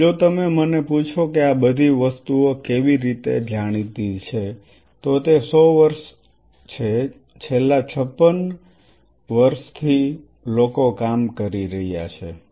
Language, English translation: Gujarati, Now, if you ask me that how all these things are known it is 100 years or last 56 years people are being working